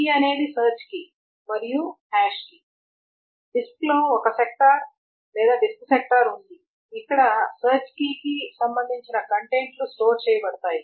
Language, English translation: Telugu, The key is the search key and the hash key this is a sector or in the disk, sector in disk where the contents corresponding to the search key are stored